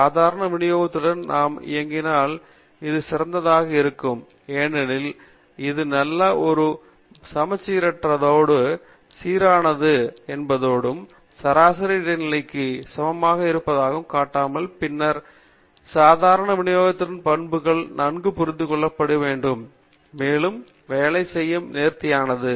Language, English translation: Tamil, It would be ideal if we are working with the normal distribution because it is nice and symmetric, and you can also show that the mean is equal to median is equal to mode, and then the properties of the normal distribution are well understood, and very elegant to work with